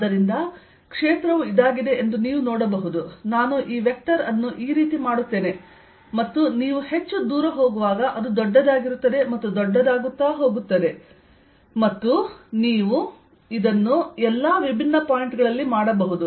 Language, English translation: Kannada, so you can see that the field is i make this vector is like this, and as you go farther and farther out, it's going to be bigger and bigger, alright